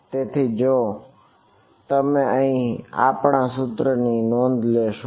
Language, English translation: Gujarati, So, if you notice our equation over here